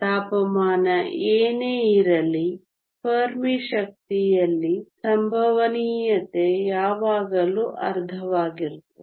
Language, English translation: Kannada, Whatever be the temperature the probability at the Fermi energy is always half